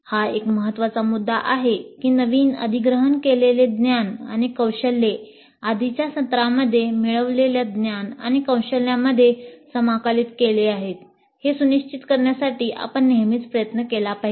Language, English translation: Marathi, This is a very important point that we should always try to ensure that the newly acquired knowledge and skills are integrated with the knowledge and skills acquired in earlier sessions